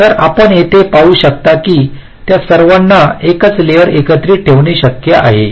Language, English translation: Marathi, so here, as you can see, that it is possible to put all of them together on the same layer